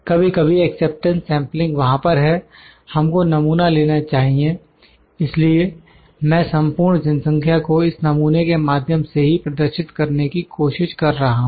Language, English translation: Hindi, Sometime acceptance sampling is there, we know we have to take the sample I mean trying to represent the whole population from this sample only